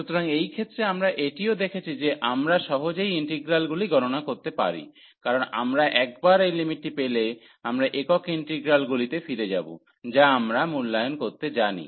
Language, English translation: Bengali, So, in this case also we have seen that we can easily evaluate the integrals, because once we have these limits we are going back to the single integrals, which we know how to evaluate